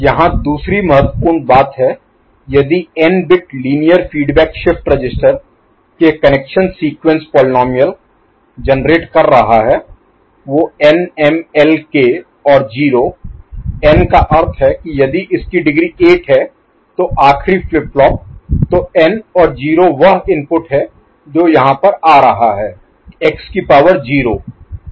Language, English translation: Hindi, The other thing important here is if the tap sequence of n bit linear feedback shift register generating primitive polynomial is in n, m, l, k and 0 n means that if it is a degree 8, the last flip flop, so that is n and 0 is the input that is coming here to x to the power 0